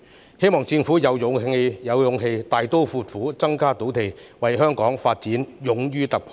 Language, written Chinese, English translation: Cantonese, 我希望政府能有勇氣大刀闊斧地增加土地供應，為香港的發展勇於突破。, I hope that the Government will have the courage to boldly increase land supply and make a breakthrough for Hong Kongs development